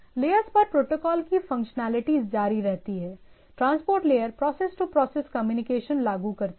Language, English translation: Hindi, So, protocol layers functionality continues, the transport layer implements process to process communication right